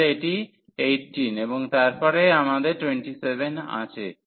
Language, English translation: Bengali, So, this is 18 and then we have a 27 there